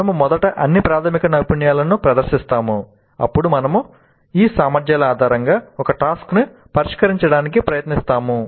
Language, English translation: Telugu, So we present first all the basic skills then we try to solve a task based on these competencies